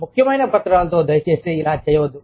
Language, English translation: Telugu, Please do not do this, with important documents